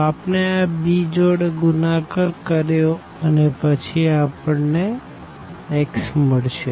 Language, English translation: Gujarati, So, we multiplied by this b and then we will get the x